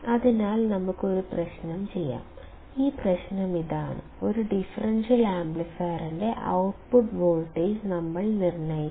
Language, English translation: Malayalam, So, let us perform one exercise and that exercise is; we have to determine the output voltage of a differential amplifier